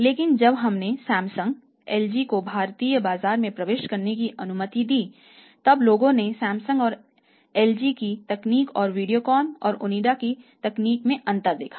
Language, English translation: Hindi, But when we had when be allowed Samsung, LG to enter the Indian market so then people saw the difference in the technology, technology of Samsung and LG and technology of the Videocon and Onida